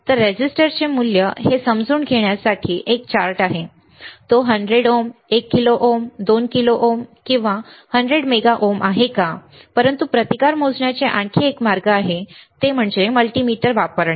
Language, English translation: Marathi, So, there is a chart to understand what is the value of the resistor; whether it is 100 ohm 1 kilo ohm 2 kilo ohm 100 mega ohms, but there is another way of measuring the resistance and that is using the multimeter